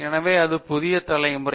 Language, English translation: Tamil, So this is the new generation